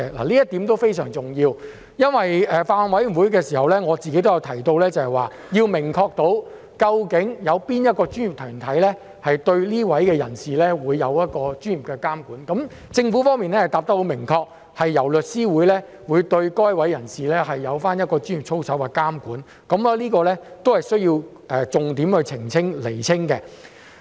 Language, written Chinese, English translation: Cantonese, 這一點非常重要，我曾在法案委員會提到要明確肯定究竟哪個專業團體會對該等人士作出專業的監管，而政府的答覆十分明確，表示會由律師會對該等人士作出專業操守的監管，這亦是需要重點釐清的事。, This is vitally important . I have mentioned in the Bills Committee that it is necessary to make it clear which professional body will exercise professional regulation over these persons and the Government has replied explicitly that the Law Society will exercise regulation over the professional conduct of these persons . This is an important point which warrants clarification